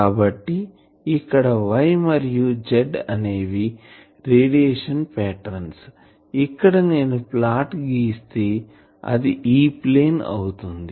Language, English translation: Telugu, So, here the y z plane so that means, y and z plane this will be the radiation pattern I will have to plot here; this will be the E plane